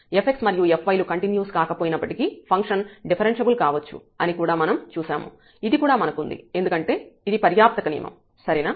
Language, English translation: Telugu, And, we have also seen that function may be differentiable even if f x and f y are not continuous this is what we have also; so because this is sufficient condition, ok